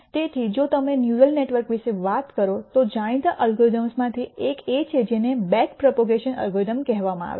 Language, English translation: Gujarati, So, if you talk about neural networks one of the well known algorithms is what is called a back propagation algorithm